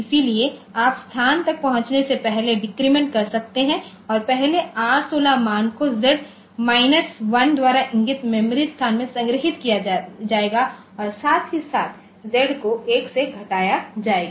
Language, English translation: Hindi, So, you can decrement before accessing the location and first R16 value will be stored in the memory location pointed to by Z minus 1 and simultaneously so Z is decremented by 1